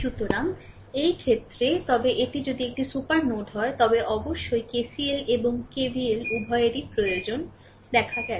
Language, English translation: Bengali, So, in this case, but if it is a super node, then of course, we have seen KCL and KVL both require